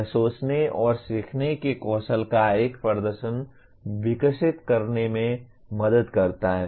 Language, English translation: Hindi, It helps developing a repertoire of thinking and learning skills